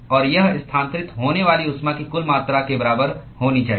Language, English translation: Hindi, And that should be equal to the total amount of heat that is transferred